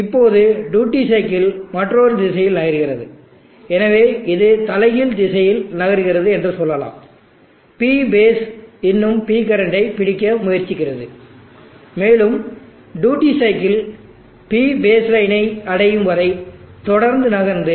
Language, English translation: Tamil, Now the duty cycle moves in the other direction, so let us say it moves in the reverse direction, P base is still trying to catch up with P current, and the duty cycle is continuous to move till it reaches P base line were it again toggles reverses direction